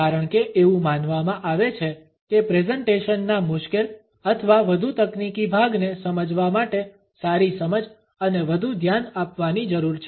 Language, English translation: Gujarati, Because it is thought that understanding of difficult or more technical part of the presentation require better understanding and more focus